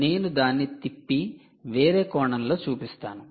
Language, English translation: Telugu, maybe i will rotate and show you in a different perspective